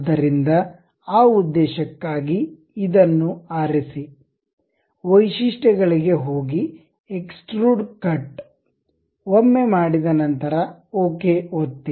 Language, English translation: Kannada, So, for that purpose pick this one, go to features, extrude cut; once done, click ok